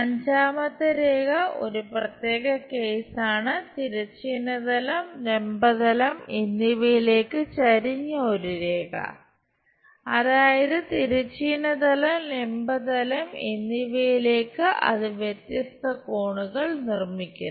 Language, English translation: Malayalam, And the fifth line is is a special case a line inclined to both horizontal plane and vertical plane; that means, it makes different angles with horizontal plane and vertical plane